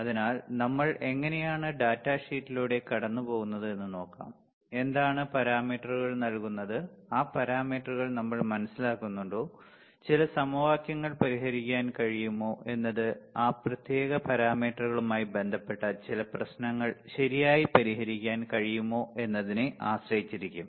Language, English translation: Malayalam, So, I thought of how we go through the data sheet and let us see, how are what are the parameters given and whether we understand those parameter, whether we can solve some equations solve some problems regarding to that particular parameters right